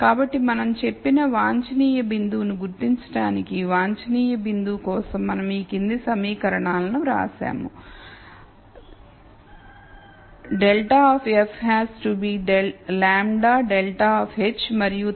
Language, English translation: Telugu, So, we wrote the following equations for the optimum point for identifying the optimum point we said minus grad of f has to be lambda grad of h and then we have h of x equal to 0